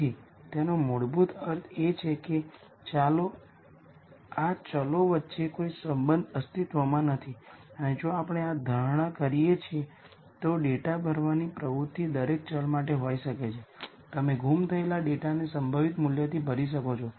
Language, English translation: Gujarati, So, that basically means that no relationship exists between these variables and if we make this assumption then the data filling activity could be for each variable you can fill the missing data with the most likely value